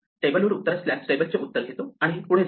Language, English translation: Marathi, If the table has an answer, we take the table's answer and go ahead